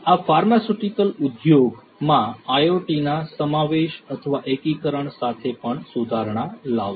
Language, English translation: Gujarati, These are also going to improve with the incorporation or integration of IoT in the pharmaceutical industry